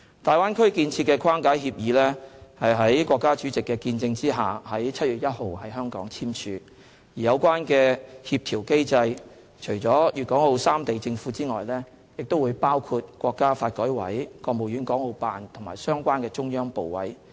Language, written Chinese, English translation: Cantonese, 大灣區建設的框架協議是在國家主席的見證下，於7月1日在香港簽署，而有關的協調機制，除了粵港澳三地政府外，亦包括國家發展和改革委員會、國務院港澳辦及相關中央部委。, The framework agreement on the Bay Area development was signed and witnessed by the State President in Hong Kong on 1 July . In addition to the governments of Guangdong Hong Kong and Macao the National Development and Reform Commission the Hong Kong and Macao Affairs Office of the State Council and relevant Central ministries and commissions are also involved in the coordination mechanism